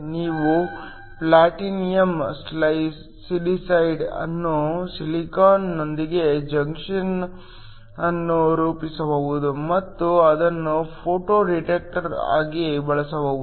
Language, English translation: Kannada, You could have platinum silicide forming a junction with silicon and that can use as a photo detector